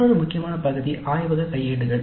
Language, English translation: Tamil, Then another important area is laboratory manuals